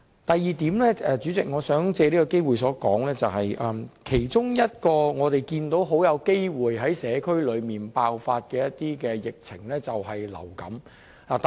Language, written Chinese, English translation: Cantonese, 第二點，主席，我想藉這個機會表示，我們看到其中一個很大機會在社區爆發的疫情，就是流感。, Secondly President taking this opportunity I want to say that in terms of epidemics there is a high chance of influenza outbreak in the local community